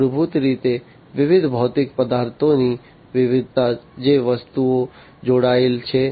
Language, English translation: Gujarati, Fundamentally, diversity of the different physical objects, the things that are connected